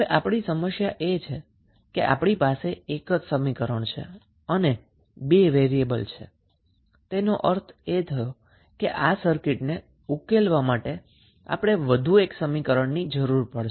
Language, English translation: Gujarati, Now, the problem would be that since we have only one equation and we have two variables means we need at least one more equation to solve this circuit